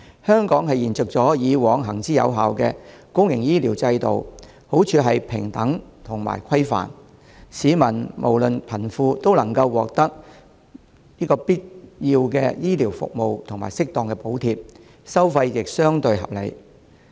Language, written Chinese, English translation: Cantonese, 香港是延續以往行之有效的公營醫療制度，好處是平等和規範，市民不論貧富，都能獲得必要的醫療服務及適當補貼，收費亦相對合理。, Hong Kong continues to adopt the public healthcare system which has proven effective . It has the advantages of being fair and regulated . The public no matter wealthy or not can obtain the necessary healthcare services and appropriate subsidies while the charges are relatively reasonable